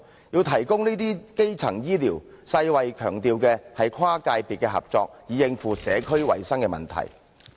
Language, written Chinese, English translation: Cantonese, 要提供這些基層醫療，世界衞生組織強調要跨界別合作，以應付社區衞生的問題。, In order to provide these primary health care services the World Health Organization emphasizes handling the community health problem with cross - sector collaboration